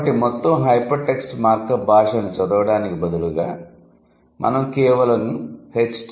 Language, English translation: Telugu, So, instead of reading the entire hypertext markup language, we are simply saying HTML